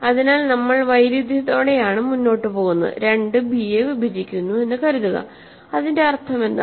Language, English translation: Malayalam, So, we proceed by contradiction, suppose 2 divides b, what is the meaning of that